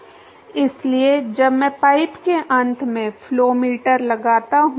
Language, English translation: Hindi, So, when I put a flow meter at the end of the pipe